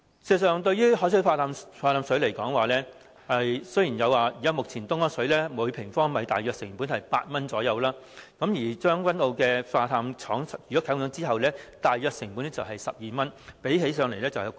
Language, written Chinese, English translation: Cantonese, 事實上，以海水化淡方式生產食水而言，目前東江水每立方米大約成本為8元，而將軍澳海水化淡廠啟用後，每立方米大約成本為12元，較東江水昂貴。, About producing fresh water using desalination technology it is known that the cost of purchasing Dongjiang water is currently about 8 per cubic metre while the cost of producing fresh water by the Tseung Kwan O Desalination Plant upon its commencement of operation will be about 12 per cubic metre which is more expensive than purchasing Dongjiang water